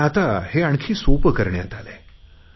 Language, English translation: Marathi, But now we have made it a lot simpler